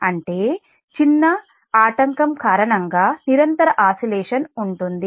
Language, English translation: Telugu, that means because of small disturbance disturbance, there is a continuous oscillation